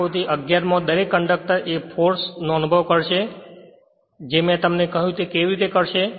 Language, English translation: Gujarati, Each conductor in figure 11 will experience a force I told you how it will experience